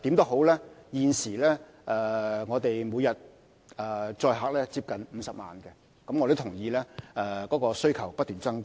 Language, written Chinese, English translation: Cantonese, 輕鐵現時每天的載客量接近50萬人次，我亦認同需求正不斷增加。, The current patronage of LR is close to 500 000 passenger trips daily . I also agree that demand has been on the rise